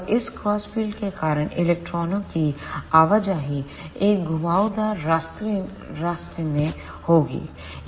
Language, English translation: Hindi, And because of these crossed field, the movement of electrons will be in a curved path